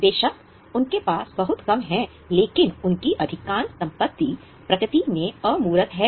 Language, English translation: Hindi, Of course they have a little bit but most of their assets are intangible in nature